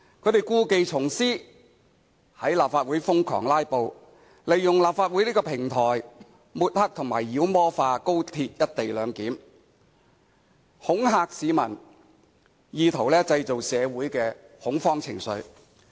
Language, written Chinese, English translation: Cantonese, 他們故技重施，在立法會瘋狂"拉布"，利用立法會這個平台抹黑及妖魔化高鐵"一地兩檢"，恐嚇市民，以圖製造社會的恐慌情緒。, In fact they now are playing the same old tricks to filibuster relentlessly in the Chamber using the Legislative Council as a platform to smear and demonize the co - location arrangement for XRL and try to terrify the public in an attempt to fill society with horror